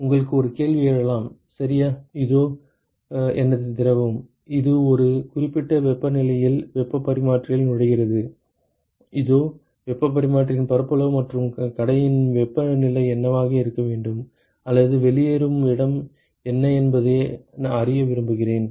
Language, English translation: Tamil, Like you could have a question that ok: here is my fluid, which is entering the heat exchanger at a certain temperature and here is the area of heat exchanger and I want to know, what should be the outlet temperature or what will be the outlet temperature